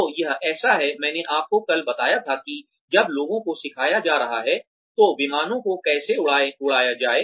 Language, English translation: Hindi, So, it is like, I told you yesterday, that in order to when people are being taught, how to fly planes